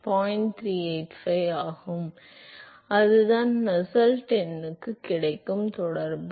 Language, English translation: Tamil, So, that is the correlation that is available for Nusselt number